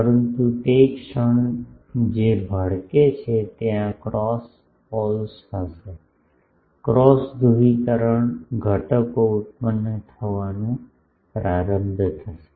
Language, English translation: Gujarati, But the moment that gets flare there will be cross poles, cross polarization components start getting generated